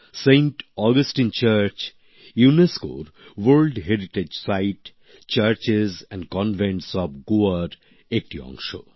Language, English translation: Bengali, Saint Augustine Church is a UNESCO's World Heritage Site a part of the Churches and Convents of Goa